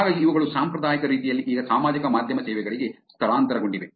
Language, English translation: Kannada, So these have being there in traditional ways now these have moved on to the social media services